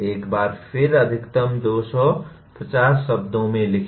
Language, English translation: Hindi, A maximum of 250 words can be written